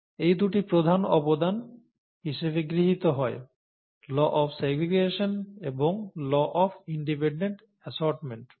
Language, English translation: Bengali, These two are supposed to be major contributions; the ‘law of segregation’ and the ‘law of independent assortment’